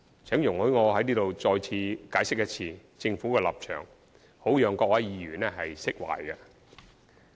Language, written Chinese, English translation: Cantonese, 請容許我在這裏再次解釋政府的立場，好讓各位議員釋懷。, Please allow me to hereby expound on the Governments stance again in order to reassure fellow Members